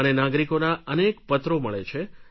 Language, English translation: Gujarati, I receive many letters from the citizens